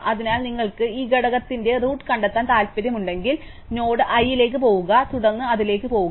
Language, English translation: Malayalam, So, if you want to find the root of this component, go to the node i and then work your way up to it